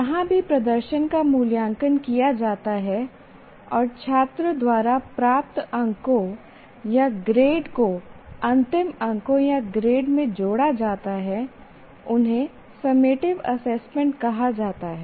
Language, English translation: Hindi, Anything wherever the performance is evaluated and the marks are grade obtained by the student is added to the final marks or the grade, they are called summative assessments